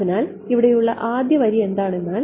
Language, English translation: Malayalam, So, the first line over here is